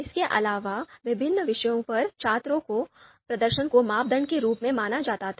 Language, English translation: Hindi, So the performance of the performance of the students on different subjects, so that was the criteria